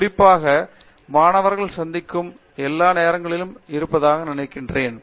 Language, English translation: Tamil, So, I think that students meeting fellow students has to be happening all the time